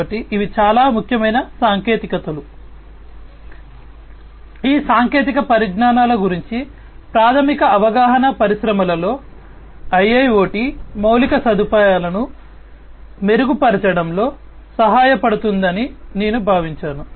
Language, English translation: Telugu, So, that is the reason why I thought that a basic understanding about these technologies can help in improving the IIoT infrastructure in the industries